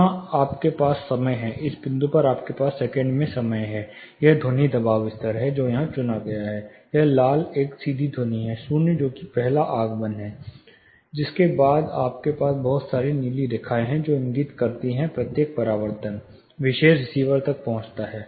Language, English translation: Hindi, Here you have time, in this point you have time in seconds, this is on pressure level what is selected here, the red one is a direct sound, zero that is the first arrival, following that you have lot of blue lines, which indicate each reflection, reaching the particular receiver